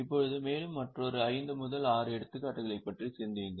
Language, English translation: Tamil, Now think of another 5 6 examples